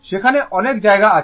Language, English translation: Bengali, Many places it is there